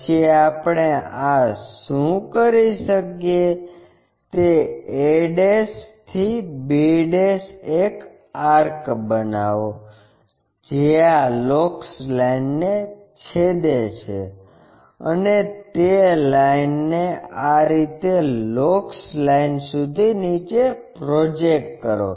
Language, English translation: Gujarati, Then, what we can do is from this a ' to b ' make an arc which cuts this locus line and project that line all the way down to this locus line